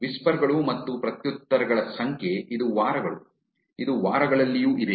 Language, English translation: Kannada, Number of whispers and replies this is weeks, this is also in weeks